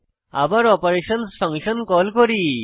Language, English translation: Bengali, Again we call function operations